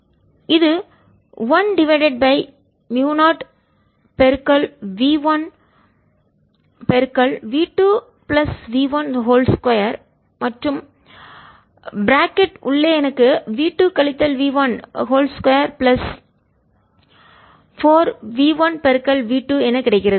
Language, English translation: Tamil, this is equal to one over mu zero v one v two plus v one whole square and inside i get v two minus v one whole square plus four v one v two